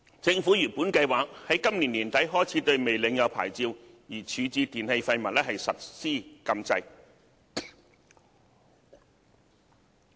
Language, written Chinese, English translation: Cantonese, 政府原本計劃在今年年底開始對未領有牌照而處置電器廢物實施禁制。, The Government originally planned to prohibit the disposal of e - waste without a licence starting from the end of this year